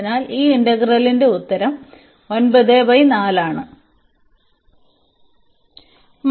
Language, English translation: Malayalam, So, that is the answer of this integral